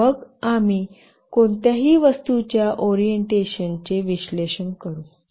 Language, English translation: Marathi, And then we will analyze the orientation of any object